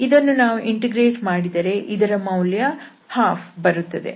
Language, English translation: Kannada, So if we integrate this we will get the value half